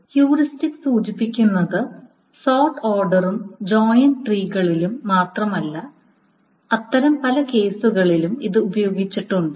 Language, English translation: Malayalam, Heuristics are employed not just in sort order and joint things, it are being used in many such cases